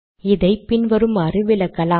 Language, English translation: Tamil, So we explain this as follows